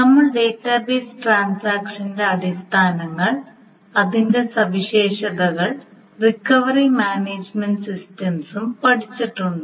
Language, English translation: Malayalam, We have seen the basics of what a database transaction is and what are its properties and we have also studied the recovery management systems